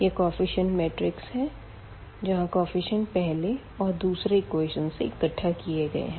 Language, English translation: Hindi, So, this will be the coefficient matrix where we will collect the coefficient from the first equation that is 1 and 2 there